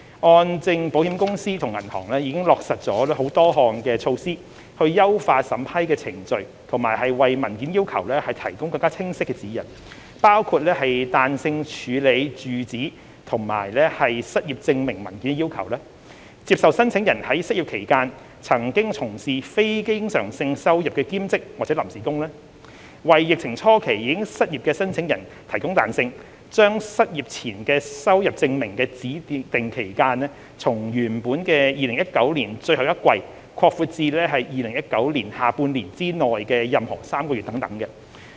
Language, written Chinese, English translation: Cantonese, 按證保險公司與銀行已經落實了多項措施，優化審批程序和為文件要求提供更清晰的指引，包括彈性處理住址及失業證明文件的要求；接受申請人在失業期間曾從事非經常性收入的兼職或臨時工；為疫情初期已失業的申請人提供彈性，將失業前收入證明的指定期間從原本的2019年最後一季擴闊至2019年下半年之內的任何3個月等。, HKMCI and the banks have also implemented a number of measures to refine the vetting procedures and to provide clearer guidelines on documentation requirements . Such include the adoption of a more flexible approach to consider the documentary proof requirements in respect of residential address and unemployment; accepting applicants who took up part - time or temporary jobs with non - recurrent incomes during the unemployment period; and providing applicants who became unemployed at the early stage of the pandemic with flexibility by extending the income reference period from the last quarter of 2019 to any three months in the second half of 2019